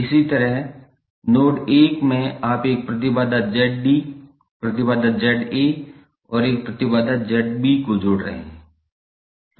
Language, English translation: Hindi, Similarly in node 1 you are joining Z D as a impedance and Z A as an impedance and Z B as an impedance